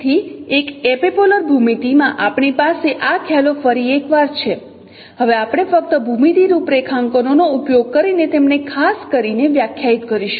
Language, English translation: Gujarati, So in an epipolar geometry we have these concepts once again we will be now defining them in particular using their geometry configurations only